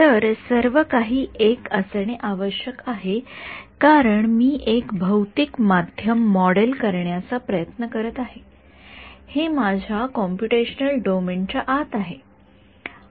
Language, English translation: Marathi, So, everything has to be 1 because I am be trying to model a physical medium this is the inside of my computational domain